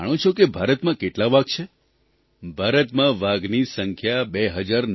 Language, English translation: Gujarati, Do you know how many tigers there are in India